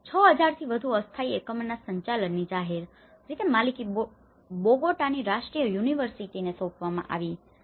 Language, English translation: Gujarati, The management of the more than 6,000 temporary units was assigned to publicly owned national university of Bogota